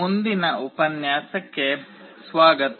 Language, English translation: Kannada, Welcome to the next lecture